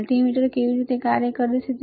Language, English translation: Gujarati, How multimeter operates